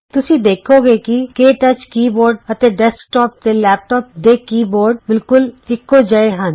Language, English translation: Punjabi, Notice that the KTouch keyboard and the keyboards used in desktops and laptops are similar